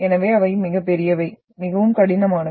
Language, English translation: Tamil, So they are massive, very hard